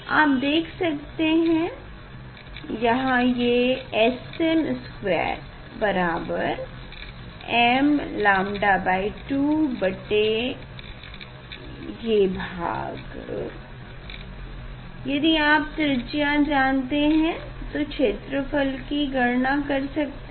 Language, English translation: Hindi, here you can see this S m square equal to m lambda by 2 divide by this part now, if you know the radius you can find out the area